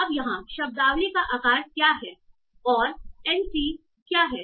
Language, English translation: Hindi, Now what is the vocabulary size here and what is n